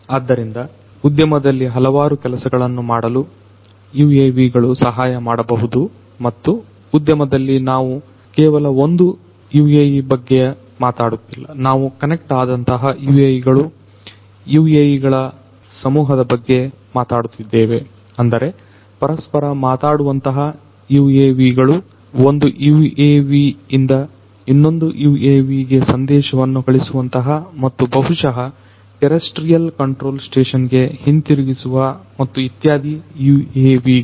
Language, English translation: Kannada, So, UAVs in the industry can help in doing number of different things and in the industry we are not just talking about single UAVs, we are talking about connected UAVs, swarms of UAVs; that means, UAVs which can talk to one another, UAVs which can send messages from one UAV to another UAV and maybe then back to the terrestrial control station and so on